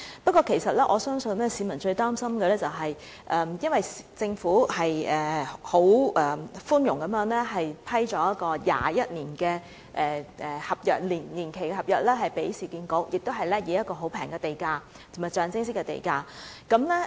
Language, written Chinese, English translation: Cantonese, 不過，我相信市民最擔心的是，政府寬容地向市建局批出21年年期的合約，以及以極低廉和象徵式的地價撥出這合約。, However I believe what worries the public the most is that the Government has allowed the Central Market site to be granted to URA for a term of 21 years at an extremely low or nominal land premium by a private treaty